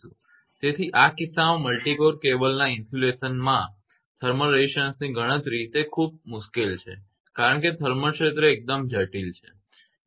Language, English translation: Gujarati, So, in this case the calculation of thermal resistance of insulation of multi core cable it is very difficult one because the thermal field is quite complex right